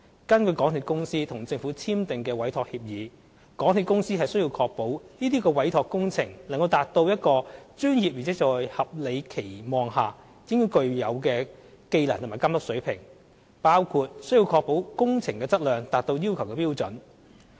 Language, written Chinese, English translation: Cantonese, 根據港鐵公司與政府簽訂的委託協議，港鐵公司須確保這些委託工程能達至一個專業而在合理的期望下應具有的技能和監督水平，包括須確保工程質量達到要求的標準。, According to the Entrustment Agreement signed between the MTRCL and the Government the MTRCL warrants that the entrustment activities shall be carried out with the skill and care reasonably to be expected of a professional including the assurance of quality of works up to the standards required